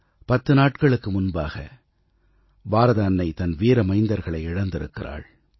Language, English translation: Tamil, 10 days ago, Mother India had to bear the loss of many of her valiant sons